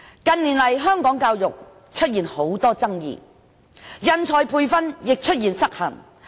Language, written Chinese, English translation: Cantonese, 近年來，香港教育出現很多爭議，人才培訓亦失衡。, The education sector in Hong Kong has been dogged by controversies in recent years coupled with an imbalance in manpower training